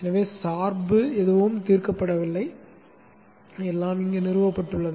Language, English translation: Tamil, So, dependence is resolved, nothing to do, everything has been installed